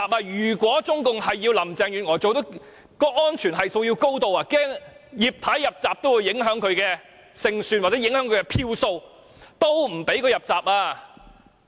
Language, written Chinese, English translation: Cantonese, 如果中共是要讓林鄭月娥勝出，安全系數便要推得很高，萬一"葉太""入閘"會影響她的勝算或票數，也不准"葉太""入閘"。, If the Chinese Communist Government wants Carrie LAM to win the safety coefficient should be pushed to a very high point because in case Mrs Regina IP gets nominated her nomination will affect Carrie LAMs chance of winning or the votes she will get therefore Mrs Regina IP will not be allowed to get the nomination